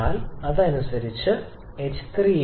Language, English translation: Malayalam, So, correspondingly your h 3 will be coming as 3682